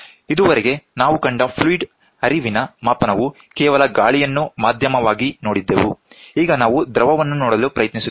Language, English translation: Kannada, A fluid flow measurement till now what we saw was only air as a media, now we will try to see fluid